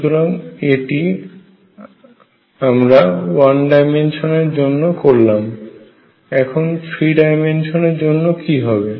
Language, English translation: Bengali, So, this is what we do in 1 dimension what about 3 dimensions